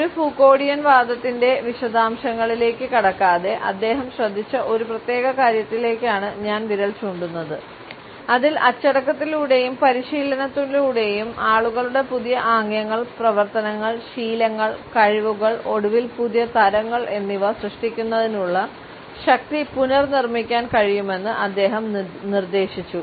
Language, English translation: Malayalam, Without going into the details of a Foucauldian argument I would simply point out to a particular treatment which he had paid wherein he had suggested that discipline and training can reconstruct power to produce new gestures, actions, habits and skills and ultimately new kinds of people